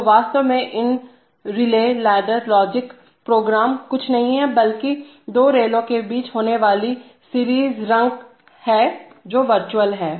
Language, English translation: Hindi, So, there are, so actually these relay ladder logic programs are nothing but a series of rungs having between two rails which are virtual